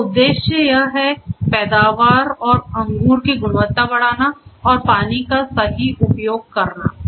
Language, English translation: Hindi, So, the objective is to have to increase the yield, increase yield, quality of grapes and optimal use of water